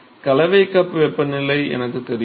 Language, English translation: Tamil, So, I know the mixing cup temperature